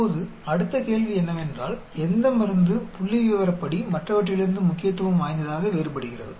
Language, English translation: Tamil, Now the next question is which drug is statistically significantly different from the other